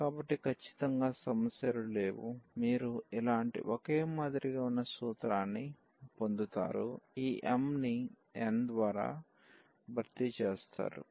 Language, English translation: Telugu, So, there is absolutely no issues, you will get the similar formula, this m will be replaced by n